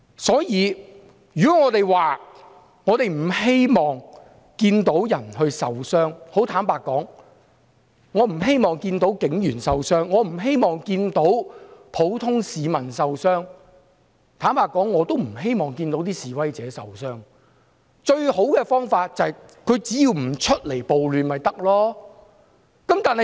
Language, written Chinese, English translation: Cantonese, 所以，如果我們說不希望看到有人受傷——坦白說，我不希望看到警員和普通市民受傷，也不希望看到示威者受傷——最好的方法不是別的，只要他們不出來參與暴亂就可以了。, So if we say we do not want to see anyone being injured―and frankly I do not want to see police officers and ordinary citizens being injured nor do we want to see protesters suffer from injury―the best means is for them to stay away instead of taking part in the riots